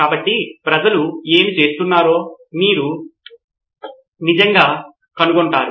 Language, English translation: Telugu, So how do you really find out what people are going through